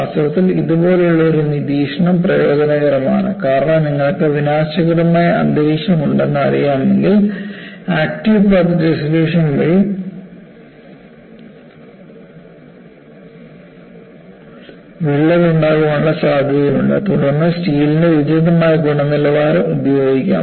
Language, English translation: Malayalam, In fact, an observation like this, is advantageous; because if you know your corrosive environment, there is a possibility of crack growth by active path dissolution, then use an appropriate quality of steel